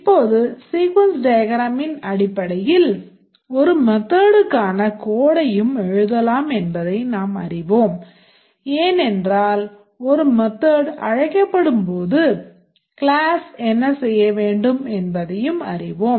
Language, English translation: Tamil, Now we know that based on the sequence diagram we can also write the code for a method because we know that when the method is invoked on a class what it needs to do